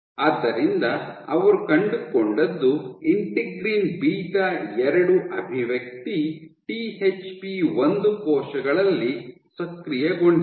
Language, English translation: Kannada, So, what they found was integrin beta 2 expression led to beta 2 expression was activated in THP1 cells